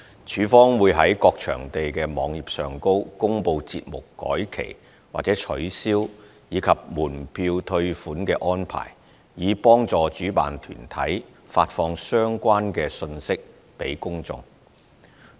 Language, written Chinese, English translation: Cantonese, 署方會在各場地的網頁上公布節目改期或取消，以及門票退款的安排，以幫助主辦團體發放相關信息給公眾。, LCSD will announce the rescheduling or cancellation of events and refund arrangements on the web pages of the respective venues to help organizers to disseminate relevant information to the public